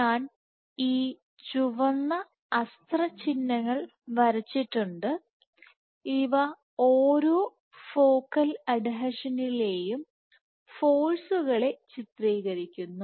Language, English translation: Malayalam, So, I have drawn these red arrows, these red arrows depict the forces at each adhesion and the direction